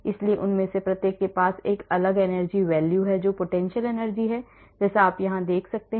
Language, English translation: Hindi, So, each one of them has a different energy values the potential energy as you can see here